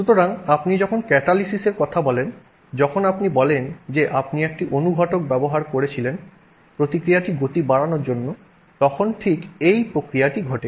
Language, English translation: Bengali, So, when you talk of a catalysis, when you say you know you used a catalyst to speed up the reaction, that's exactly what you do